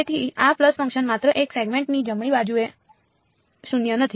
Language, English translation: Gujarati, So, this pulse function is non zero only over one segment right